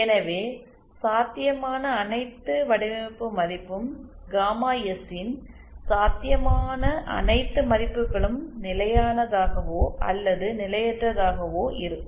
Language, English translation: Tamil, Hence, all possible design value all possible value of gamma S will be either all stable or potentially unstable